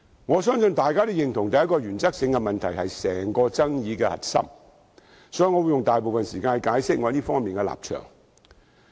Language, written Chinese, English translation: Cantonese, 我相信大家也認同，第一個原則性問題是整個爭議的核心，所以我會用大部分時間解釋我在這方面的立場。, I believe it is agreed that the first question of principle is the core of the dispute so I will spend most of my time explaining my position on this